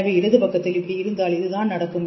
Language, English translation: Tamil, So, if you have on the left side that means what happens